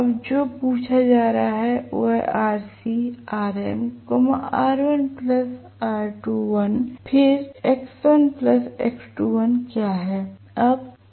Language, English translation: Hindi, Now, what is being asked is determine rc, xm, r1 plus r2 dash then x1 and x2 dash